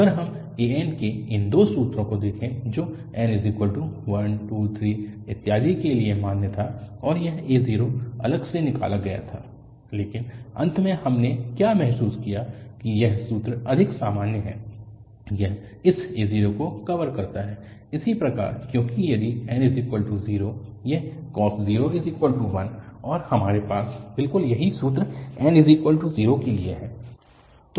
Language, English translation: Hindi, If we look at these two formulas of an which was valid for n equal to 1, 2, 3, and so on and this a0 was separately derived but at the end what we realized that this formula is more general, it is covering this a0 as well because if n is 0, this cos0 is 1 and we have exactly this formula for n equal to 0